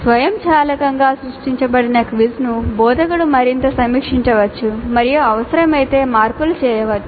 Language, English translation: Telugu, Obviously the quiz that is automatically created can be reviewed further by the instructor and if required modifications can be made